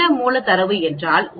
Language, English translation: Tamil, What does that raw data means